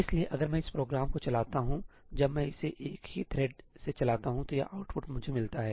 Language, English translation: Hindi, So, if I run this program, when I run it with a single thread then this is the output I get